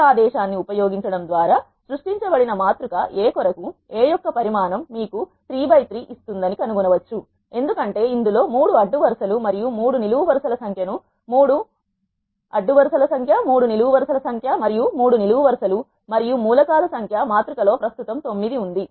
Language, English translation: Telugu, For the matrix A which is created by using this command we can find that dimension of A will give you 3 by 3 because it contains 3 rows and 3 columns number of rows is 3 and number of columns is 3 and the number of elements that are present in the matrix is 9